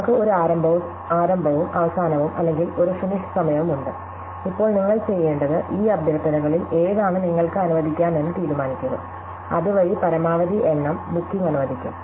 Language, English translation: Malayalam, So, we have a start and an end or a finish time and now what you want to do is, decide which of these requests you can allocate, so that the maximum number of bookings are actually granted